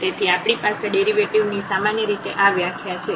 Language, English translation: Gujarati, So, that is the definition of the derivative usually we have